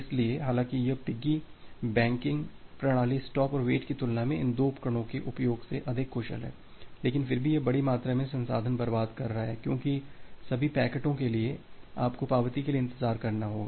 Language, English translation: Hindi, So, although this piggybacking mechanism is more efficient compared to compared to this using these two instances of stop and wait, but still it is wasting a huge amount of resource because for all packets you need to wait for the acknowledgement